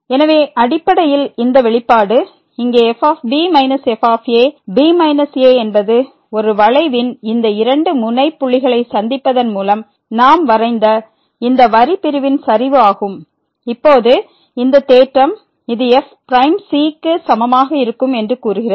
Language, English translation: Tamil, So, basically this expression here minus were minus a is the slope of this line segment which we have drawn by meeting these two end points of the a curve and now, what this theorem says that this will be equal to prime